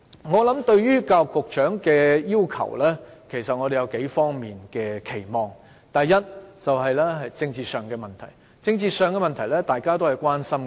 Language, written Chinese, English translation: Cantonese, 我們對教育局局長有數方面的期望：第一，是政治上的問題，這是大家也關心的。, We have a few expectations of the Secretary . First political problems are something we are all concerned about